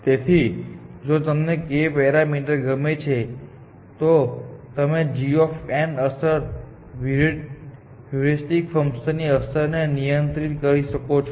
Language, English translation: Gujarati, If you use a parameter like k, you can actually control the effect of heuristic function versus g of n